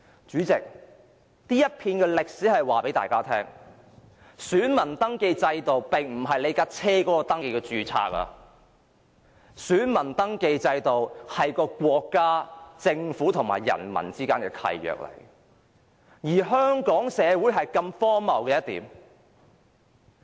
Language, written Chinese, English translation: Cantonese, 主席，這一段歷史告知大家，選民登記制度並不是車輛的登記註冊，選民登記制度是國家、政府和人民之間的契約，而香港社會卻如此荒謬。, President this episode in history tells us that the voter registration system is not like the vehicle registration system . The voter registration system constitutes a contract between the state and the government on the one hand and the people on the other . But the society of Hong Kong is so absurd